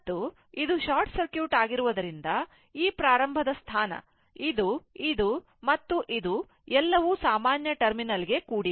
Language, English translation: Kannada, And as it is a short circuit, means this is this start this one, this one, this one, this one, everything is a common terminal